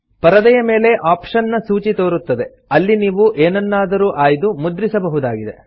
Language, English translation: Kannada, A list of option appears on the screen from where you can select and print in the document